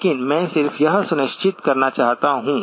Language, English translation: Hindi, But I just want to be sure that